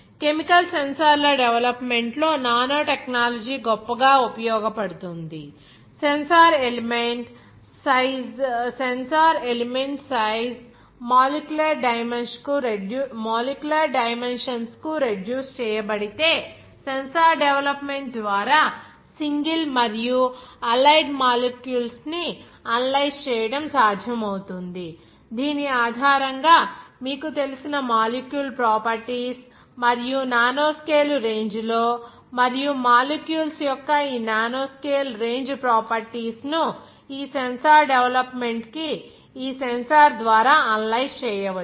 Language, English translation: Telugu, Now nanotechnology holds great from this in the development of chemical sensors also if sensor element is reduced in size to molecular dimensions, it becomes possible to detect even a single analyze and allied molecule by the sensor development based on this you know that the molecular properties and in the nanoscale range and how this nanoscale range properties of the molecules can be utilized to development of this sensor by this analyze molecule by the sensor